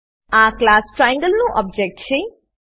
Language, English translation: Gujarati, This is the object of class Triangle